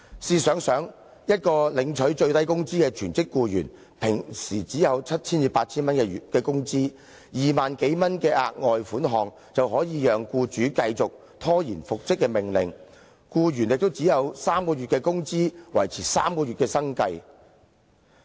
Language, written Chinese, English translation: Cantonese, 試想想，一位領取最低工資的全職僱員，一般只有七八千元工資 ，2 萬多元的額外款項，便可以讓僱主繼續拖延遵守復職命令，而僱員亦只獲得3個月的工資，可維持3個月的生計。, For a full - time employee earning the minimum wage his monthly wage is generally only 7,000 to 8,000 . The further sum of 20,000 - plus will enable the employer to keep on deferring to comply with the order for reinstatement . The employee with a further sum of three times his average monthly wages can only maintain his livelihood for three months